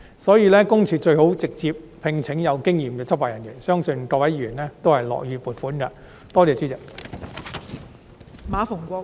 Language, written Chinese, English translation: Cantonese, 所以，私隱公署最好直接聘請有經驗的執法人員，相信各位議員都會樂意批出撥款。, Therefore it is highly advisable for PCPD to directly recruit experienced law enforcement officers . I believe that Members will be happy to approve the funding